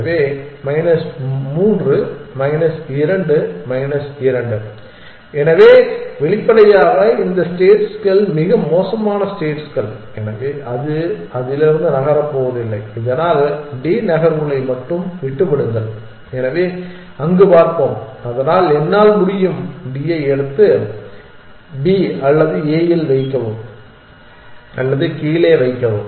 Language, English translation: Tamil, So, this is minus 3 minus 2 minus 2, so obviously, these states are worst states, so it is not going to move from it, so that leave just only the D moves, so let us look at there, so I can either pick up D and put it on B or on A or put it down